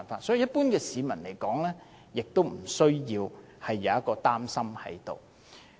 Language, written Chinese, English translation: Cantonese, 所以，一般市民不需要有這方面的擔心。, Thus the general public need not have this kind of worries